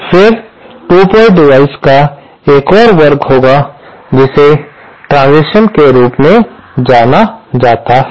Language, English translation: Hindi, Then there is another class of 2 port devices that are known as transitions